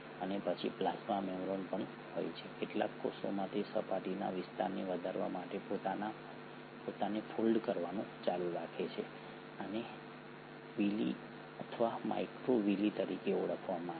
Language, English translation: Gujarati, And then the plasma membrane also consists of, in some cells it keeps on folding itself to enhance the surface area, these are called as Villi or microvilli